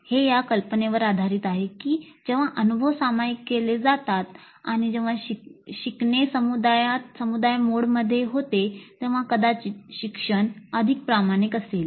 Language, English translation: Marathi, This is based on the idea that when the experiences are shared and when the learning happens in a community mode probably the learning will be more authentic